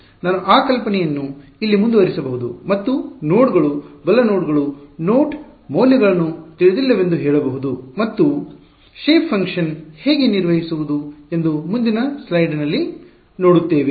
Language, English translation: Kannada, I can continue that idea here and say nodes right nodes are the node values are unknowns and we will see in the next slide how to construct the shape functions